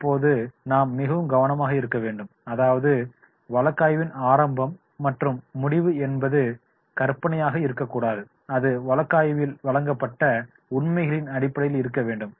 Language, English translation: Tamil, Now we have to be very careful that is the beginning of the case and ending of the case that should not be hypothetical and that should be based on the facts provided in the case